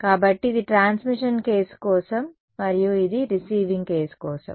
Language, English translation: Telugu, So, this was for the transmission case and this is for the receiving case